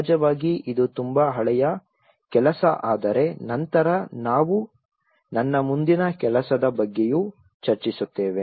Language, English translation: Kannada, Of course, this was a very old work but later on, we will be discussing on my further work as well